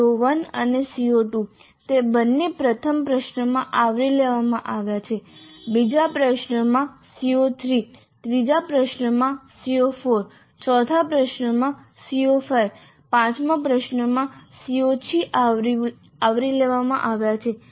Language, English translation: Gujarati, CO1 and CO2, both of them are covered in the first question and CO3 is covered in the second question, CO4 in the third question, CO5 in the fourth question, CO6 in the third question, CO5 in the fourth question, CO 6 in the fifth question